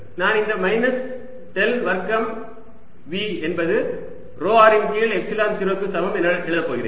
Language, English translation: Tamil, i am going to write this del square: v is equal to rho r over epsilon zero